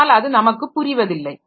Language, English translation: Tamil, But we do not understand that